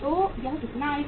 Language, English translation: Hindi, So how much is going to be this amount